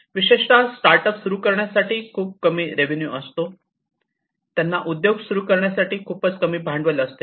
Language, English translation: Marathi, So, startups typically have very small revenues to start with, they have very less capital to start with